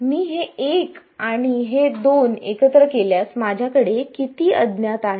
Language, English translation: Marathi, If I combine so, combine this 1 and this 2, how many unknowns do I have